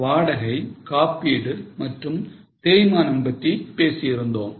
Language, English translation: Tamil, We have talked about rent or insurance or depreciation